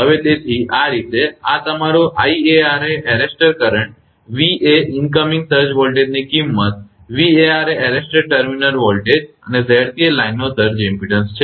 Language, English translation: Gujarati, So, this way therefore, this your I a r is the arrester current V is the magnitude of incoming surge voltage V a r is arrested terminal voltage, and Z c is a surge impedance of the line